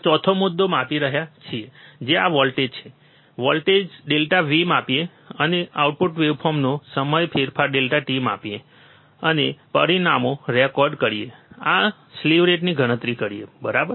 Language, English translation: Gujarati, We are measuring the 4th point which is this one, measure the voltage delta V, and time change delta t of output waveform, and record the results and calculate the slew rate, alright